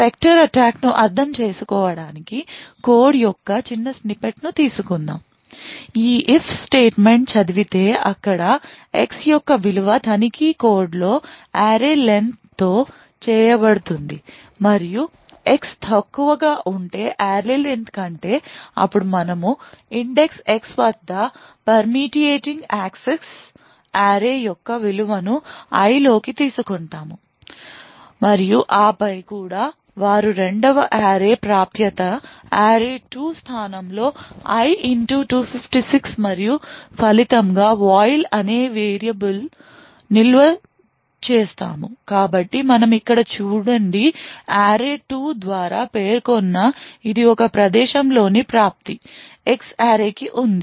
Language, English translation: Telugu, In order to understand the specter attacks let us take the small a snippet of code this code comprises of an if statement read where the value of X is checked with array len and if the value of X is less than array len then we are permeating access to this array at the index X and the value of take array is taken into I And then they are also accessing a second array array2 at the location I * 256 and the result is stored in our this variable called viol so what we see with here is that the array2 is accessed at a location which is specified by array of X